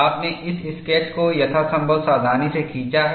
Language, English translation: Hindi, You have carefully drawn this sketch as much as possible